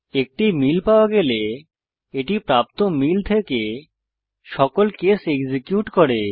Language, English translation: Bengali, When a match is found, it executes all the case from the match onwards